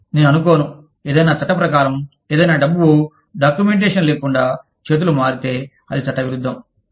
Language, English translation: Telugu, I do not think, there is any law, that governs the, that classifies, any money, that exchanges hands, you know, without documentation, as illegal